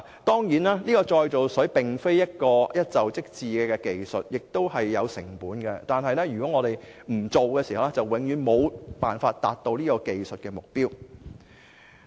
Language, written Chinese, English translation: Cantonese, 當然，再造水並非一蹴而就的技術，並且有成本，然而，如果我們不推行，便永遠無法達到這技術的目標。, Certainly the reclaimed water technology cannot be developed overnight and the development of such involves capital investment . Nonetheless if we do not start we will never achieve it